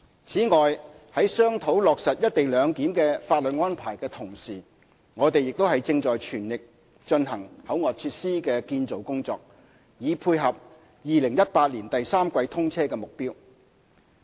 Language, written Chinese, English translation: Cantonese, 此外，在商討落實"一地兩檢"的法律安排的同時，我們亦正全力進行口岸設施的建造工作，以配合2018年第三季通車的目標。, We are also conducting the construction works of CIQ facilities in full swing while discussing the legal arrangement for implementing the co - location arrangement to tie in with the target commissioning date of the third quarter of 2018